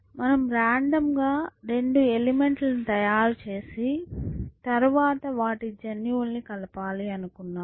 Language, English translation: Telugu, We just randomly made two elements and then, we wanted to the mix up their genes